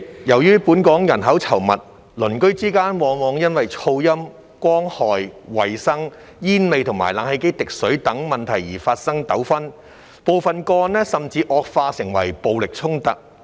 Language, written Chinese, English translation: Cantonese, 由於本港人口稠密，鄰居之間往往因噪音、光害、衞生、煙味和冷氣機滴水等問題而發生糾紛，部分個案甚至惡化為暴力衝突。, As Hong Kong is densely populated disputes often arise between neighbours over problems such as noise light pollution hygiene odour of cigarette smoke and water - dripping of air - conditioners some of which even escalated into violent confrontations